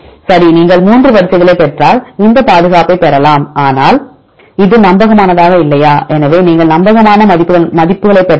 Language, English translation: Tamil, Right if you get 3 sequences you can get this conservation, but is it reliable or not no right